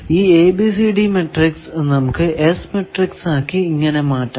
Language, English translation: Malayalam, So, overall ABCD matrix is this and then this ABCD matrix can be converted to S matrix by going like that